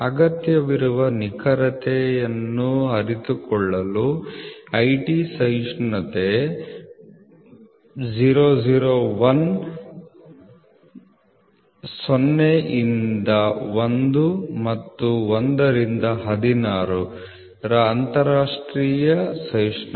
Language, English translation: Kannada, IT tolerance International Tolerance of 001, 0 to 1 to 16 to realize that required accuracy